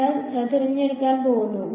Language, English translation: Malayalam, So, we are going to choose